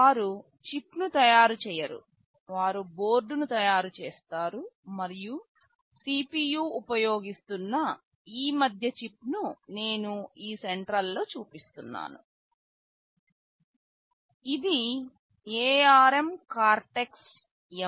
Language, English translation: Telugu, They do not manufacture the chip, they manufacture the board, and the CPU that is use this middle chip that I am showing the central one, this is ARM Cortex M4